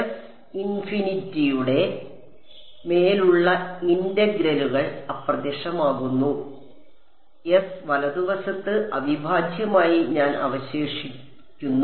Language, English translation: Malayalam, Integrals over S infinity vanish and I was left with the integral over S right